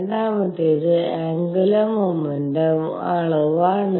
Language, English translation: Malayalam, The second one is the dimension of angular momentum